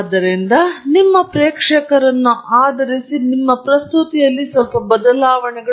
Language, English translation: Kannada, So, your presentation changes based on your audience